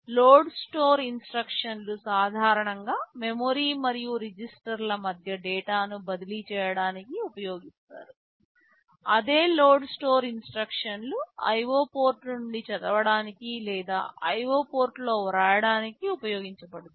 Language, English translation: Telugu, Say load store instructions are typically used to transfer data between memory and register, the same load store instructions will be used for reading from IO port or writing into IO ports